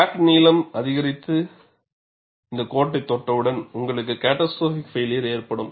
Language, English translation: Tamil, Once the crack length increases and touches this line, you will have a catastrophic failure